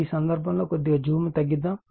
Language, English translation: Telugu, In this case let me let me reduce the zoom little bit